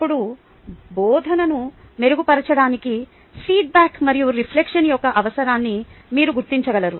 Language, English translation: Telugu, then you will be able to recognize the need for feedback and reflection to improve teaching